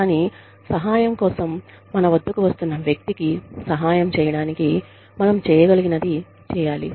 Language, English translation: Telugu, But, we must do, whatever we can, in order to help the person, who is coming to us, for help